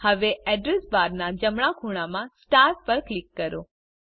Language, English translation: Gujarati, * Now, from the right corner of the Address bar, click on the star